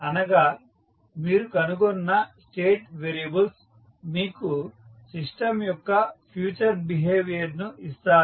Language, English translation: Telugu, So, that means the state variable which you find will give you the future behaviour of the system